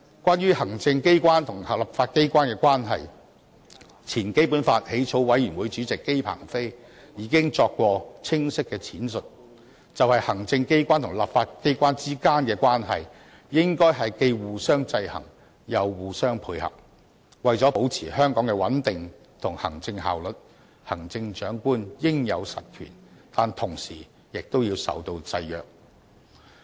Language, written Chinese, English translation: Cantonese, 關於行政機關和立法機關的關係，前基本法起草委員會主席姬鵬飛已清晰闡釋，"行政機關和立法機關之間的關係，應該是既互相制衡又互相配合；為了保持香港的穩定和行政效率，行政長官應有實權，但同時也要受到制約"。, Regarding the relationship between the executive authorities and the legislature Mr JI Pengfei former Chairman of the Drafting Committee for the Basic Law gave a clear explanation The executive authorities and the legislature should regulate each other as well as coordinate their activities . To maintain Hong Kongs stability and administrative efficiency the Chief Executive must have real power which at the same time should be subject to some restrictions